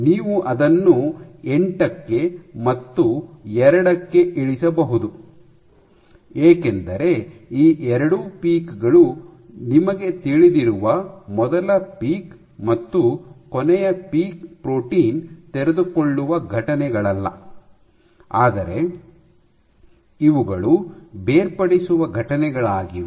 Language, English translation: Kannada, Then you can bring it down, you can break it down into 8 plus 2 because these two peaks corresponding to the first peak and the last peak you know are not protein unfolding events, but these are detachment events